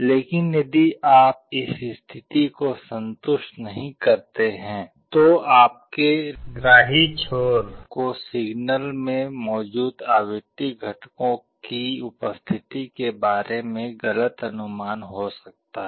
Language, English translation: Hindi, But if you do not satisfy this condition, then your receiving end might get wrong inference regarding the frequency components present in the signal